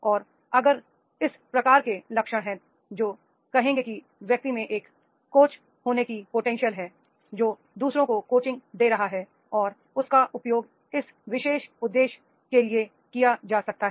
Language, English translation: Hindi, And if this type of the the traits are there we will say the person is having the potential of to be a coach, that is coaching others and he can be used for this particular purpose